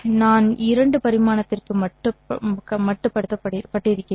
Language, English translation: Tamil, I will just restrict it to two dimensional